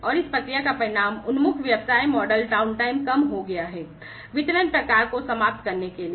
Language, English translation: Hindi, And the result of this process oriented business model is reduced downtime, due to eliminated delivery types